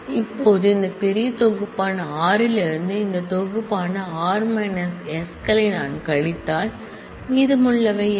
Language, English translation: Tamil, Now, if I subtract this r minus s which is this set from r which is this bigger set, then what will be remaining